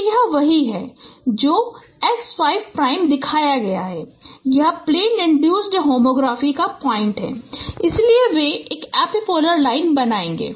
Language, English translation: Hindi, So that is what is shown x5 prime and this is the plane induced tomography point so they will form an epipolar line